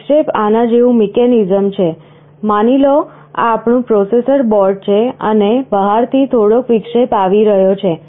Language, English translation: Gujarati, Interrupt is a mechanism like this; suppose, this is our processor board and from outside some interrupt is coming